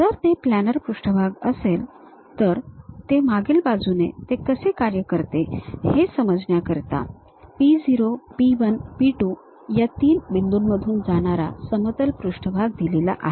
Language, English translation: Marathi, If it is a planar surface, the back end how it works is; a plane surface that passes through three points P 0, P 1, P 2 is given